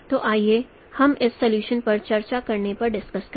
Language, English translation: Hindi, So let me discuss the solution of this problem